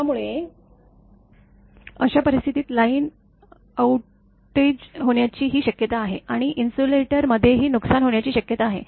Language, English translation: Marathi, So, in that case there is a possibility of the line outage also and in insulator also will be damaged